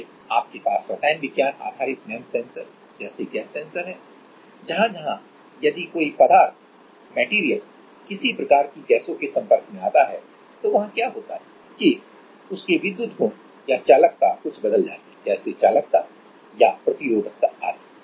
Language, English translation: Hindi, Then you have chemistry based MEMS sensors like gas sensors where actually if some material is exposed to some kind of gases, then what happens is there are some conductivity electrical properties like conductivity or resistivity etc